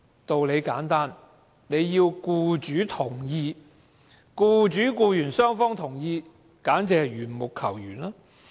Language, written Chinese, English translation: Cantonese, 道理很簡單，要僱主同意或僱主和僱員雙方同意，僱員才可復職，這簡直是緣木求魚。, The reason is very simple . As an employee can only be reinstated with the consent of the employer or with the consent of both the employer and the employee the chance of reinstatement is like climbing a tree to catch fish